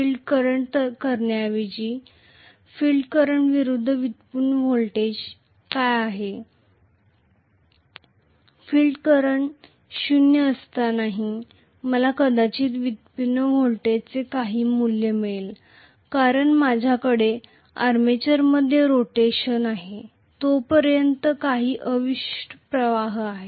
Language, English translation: Marathi, What is the generated voltage versus field current, I am probably going to get some value of generated voltage even when the field current is 0 because there is some residual flux as long as I have rotation in the armature